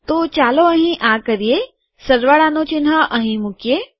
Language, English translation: Gujarati, Lets do this here, put the plus sign here